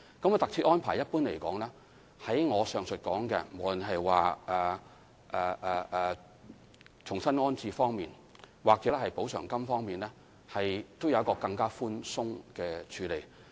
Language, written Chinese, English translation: Cantonese, 在特設安排方面，一般而言，在我上述提到的重新安置或特惠津貼方面，當局也會較寬鬆地處理。, Insofar as special arrangements are concerned the authorities have generally adopted more favourable treatment for the aforesaid rehousing arrangements or ex - gratia allowances